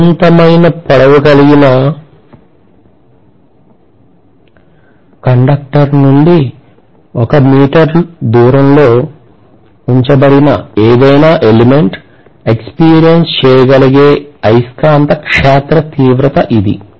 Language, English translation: Telugu, This is what is my magnetic field intensity experienced by anything that is placed at a distance of 1 meter away from that infinitely long conductor